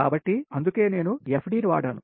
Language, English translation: Telugu, so thats why i have made fd